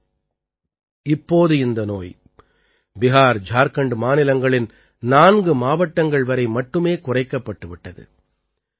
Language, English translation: Tamil, But now this disease is confined to only 4 districts of Bihar and Jharkhand